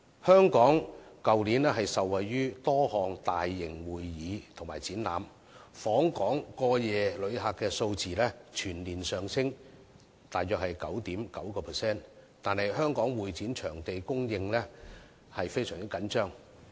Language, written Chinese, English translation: Cantonese, 香港去年受惠於多項大型會議及展覽，訪港過夜旅客數字全年上升約 9.9%， 但香港會展場地的供應卻非常緊張。, Last year benefiting from the numerous large - scale convention and exhibition projects being conducted in Hong Kong overnight arrivals rose by about 9.9 % but the supply of convention and exhibition venues in Hong Kong is very tight